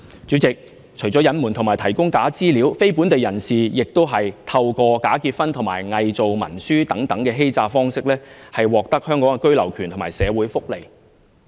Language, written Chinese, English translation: Cantonese, 主席，除了隱瞞和提供假資料，非本地人士還透過假結婚及偽造文書等欺詐方式，從而獲得香港居留權和社會福利。, President in addition to concealment of assets and provision of false information non - local people have committed immigration frauds through bogus marriages and falsification of documentation in order to obtain the right of abode in Hong Kong and social welfare benefits